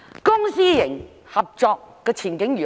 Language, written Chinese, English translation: Cantonese, 公私營合作的前景如何？, What is the prospect of public - private partnership?